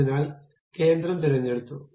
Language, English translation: Malayalam, So, center has been picked